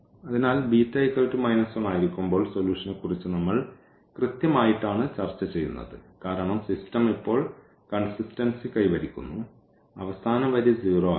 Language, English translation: Malayalam, So, when beta is equal to minus 1, this is exactly the case where we will discuss about the solution because the system becomes consistent now; the last row has become 0